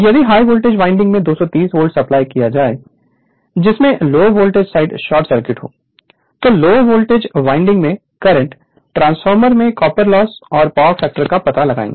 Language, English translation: Hindi, If the high voltage winding is supplied at 230 volt with low voltage winding short circuited right, find the current in the low voltage winding, copper loss in the transformer and power factor